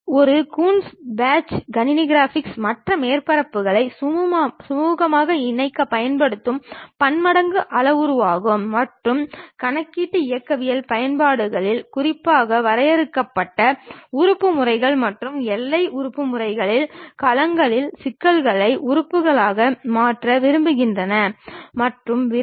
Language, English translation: Tamil, A Coons patch, is a type of manifold parameterization used in computer graphics to smoothly join other surfaces together, and in computational mechanics applications, particularly in finite element methods and boundary element methods, you would like to really mesh the problems of domains into elements and so on